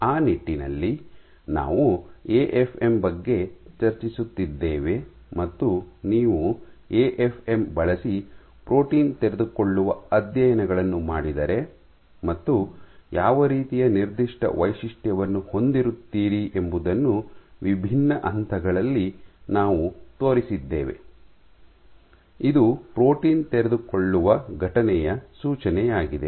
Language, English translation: Kannada, And in that regard, we had been discussing about AFM and we had shown how what are the different stages in which if you do protein unfolding using An AFM what kind of a signature do you have which is indicative of a protein unfolding event